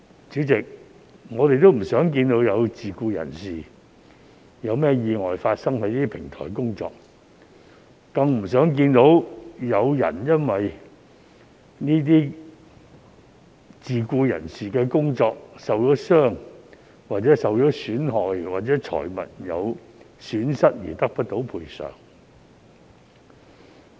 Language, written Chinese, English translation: Cantonese, 主席，我們也不想看到有自僱人士在這些平台工作期間發生意外，更不想看到有自僱人士因為工作受傷、受損害，或招致財物損失而得不到賠償。, President it is not our wish to see the occurrence of any accidents involving self - employed persons while working for platform companies nor do we wish to see self - employed platform workers sustain injuries and damage or incurring property losses at work without being compensated